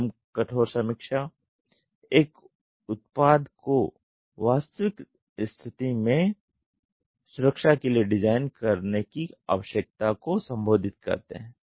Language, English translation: Hindi, Soft hard reviews addresses the need to design a product for safety that is in term of the real world condition